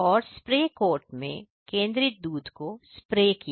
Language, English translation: Hindi, And concentrated milk into the spray into the spray cart